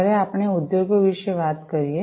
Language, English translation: Gujarati, So, when we talk about industries